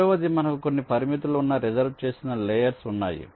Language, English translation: Telugu, the second one is the reserved layers, where we have some restrictions